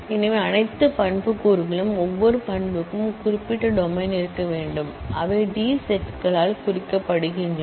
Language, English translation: Tamil, So, all attributes, each attribute will need to have certain domain and those are marked by the D Sets